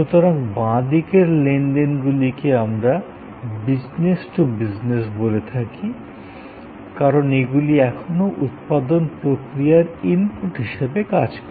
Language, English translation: Bengali, So, on the left hand side the transactions we often call them business to business, because it is still being serving as inputs to a manufacturing process